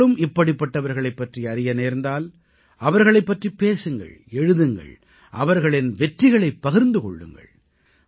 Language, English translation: Tamil, If you too know of any such individual, speak and write about them and share their accomplishments